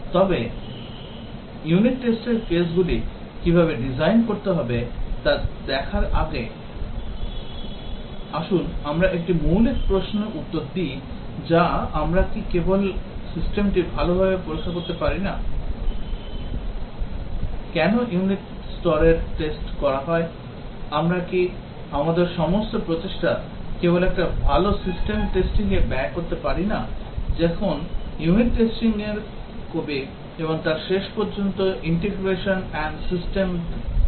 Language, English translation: Bengali, But before we look at how really to design unit test cases, let us answer a basic question that cannot we just do the system testing well, why tested the unit level, cannot we just spend all our effort on doing a good system testing, why do unit testing and then finally, do integration and system test